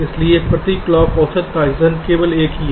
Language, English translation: Hindi, so average transitions per toggle is only one right